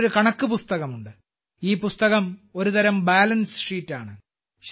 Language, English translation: Malayalam, With accounts in it, this book is a kind of balance sheet